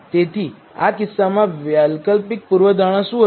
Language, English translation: Gujarati, So, what will the alternate hypothesis be in this case